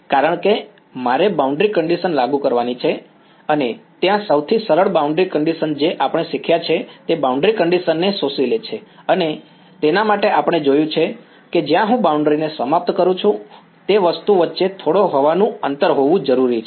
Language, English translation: Gujarati, Because I need to apply the boundary condition and there the simplest boundary condition which we have learnt are absorbing boundary conditions and for that we have seen that there needs to be a little bit of air gap between the object and where I terminate the boundary right